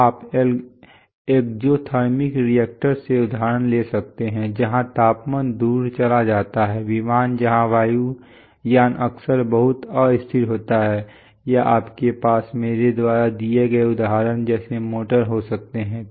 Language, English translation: Hindi, So and you can draw examples from exothermic reactors where temperatures tend to run away, aircraft where aircrafts are often very often unstable, or you can have motors like the example that I have given